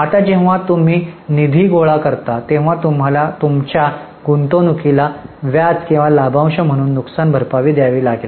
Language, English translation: Marathi, Now, whenever you raise funds funds you have to compensate your investors in the form of interest or dividend